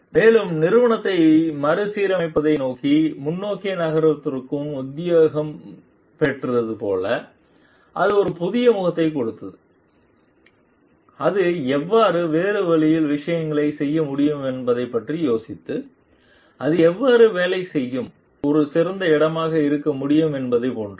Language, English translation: Tamil, And like be inspired to move forward towards like the revamping the organization giving it a new face thinking how it can do things in a different way how like it can be a better place to work in